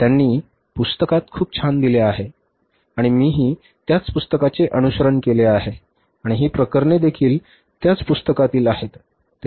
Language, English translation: Marathi, They have given very nicely and I have also followed the same book and these cases are also from the same book